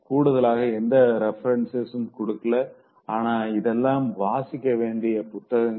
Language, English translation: Tamil, Last but not the least, I'm not giving any further reference but these are must read books